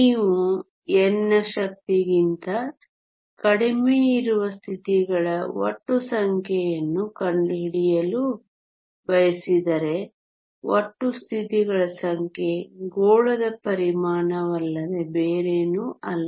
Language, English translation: Kannada, If you want to find the total number of states whose energy is less than n then the total number of states is nothing but the volume of the sphere